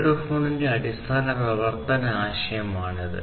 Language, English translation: Malayalam, So, this is basically the concept of how a microphone works